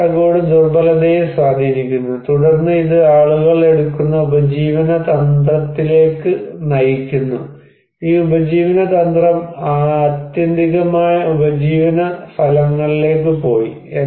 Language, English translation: Malayalam, And this framework also influencing the vulnerability and also then it leads to the livelihood strategy people take, and this livelihood strategy ultimately went to livelihood outcomes